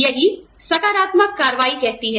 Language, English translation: Hindi, That is what, affirmative action says